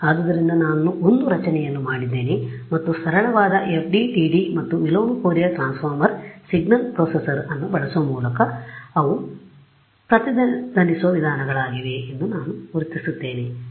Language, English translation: Kannada, So, I have made a structure and I am able to identify these are the resonant modes by using simple FDTD and inverse Fourier transform signal processor ok